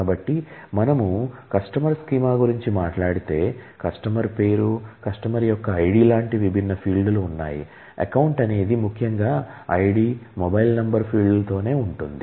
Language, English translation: Telugu, So, if we talk about a customer schema, it has multiple different fields, it should talk about the name of the customer, ID of the customer, it is account possibly the other ID the mobile number and so on